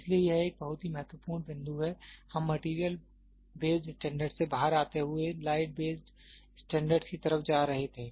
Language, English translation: Hindi, So, this is a very important point, we were moving out of material based standards to light base standards